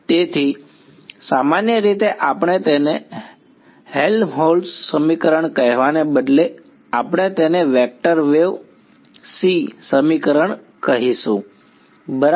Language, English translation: Gujarati, So, more generally we will instead of calling it Helmholtz equation we just call it a vector wave equation right